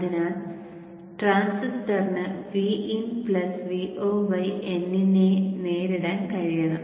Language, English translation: Malayalam, So the transistor should be capable of withstanding vin plus v0 by n